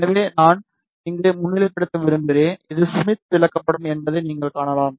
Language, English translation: Tamil, So, I want to highlight here you can see this is Smith chart